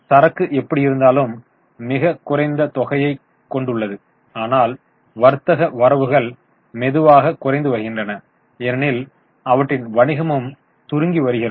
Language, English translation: Tamil, Inventry is anyway a very small amount but the trade receivables are slowly going down because their business is also shrinking